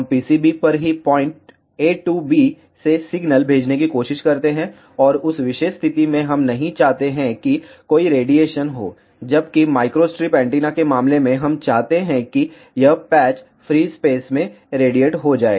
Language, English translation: Hindi, Now, in case of microwave circuits, what we do we try to send signal from point a to b on the PCB itself, in that particular case we do not want any radiation to take place whereas, in case of microstrip antenna we want this patch to radiate in the free space